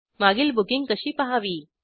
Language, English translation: Marathi, How to view past booking